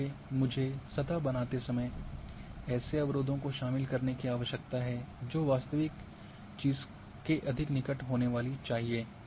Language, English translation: Hindi, Therefore, I need to incorporate such barriers while creating the surface which should be more close to the real thing